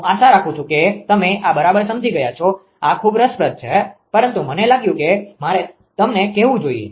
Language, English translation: Gujarati, I hope you have understood this right this is very interesting, but I thought I should tell you right